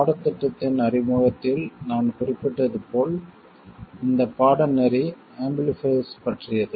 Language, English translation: Tamil, As I mentioned in the introduction to the course, this course is about amplifiers